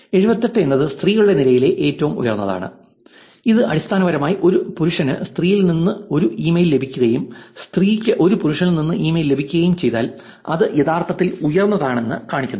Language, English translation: Malayalam, So, this number which is 68 is the highest in the column of the to male, 78 which is the highest in the column of to female, which basically shows that if a male gets an email from female and the female gets the email from a male, it is actually high